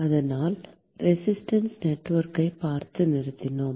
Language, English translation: Tamil, So we stopped by looking at the Resistance Network